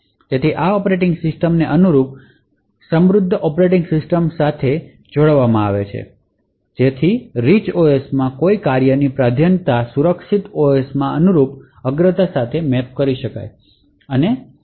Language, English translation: Gujarati, So, these operating systems are tightly coupled to the corresponding rich operating systems so that a priority of a task in the Rich OS can get mapped to a corresponding priority in the secure OS